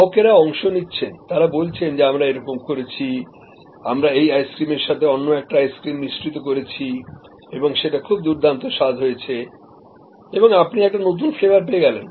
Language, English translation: Bengali, Customers participate that I did this and I mix this ice cream with this ice cream and it was wonderful and a new flavor is created